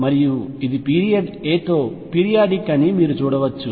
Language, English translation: Telugu, And you can see this is periodic with period a